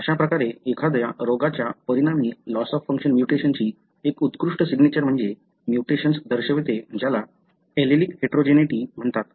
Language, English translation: Marathi, So, one of the classic signatures of a loss of function mutation resulting in a disease is that the mutation show what is called as allelic heterogeneity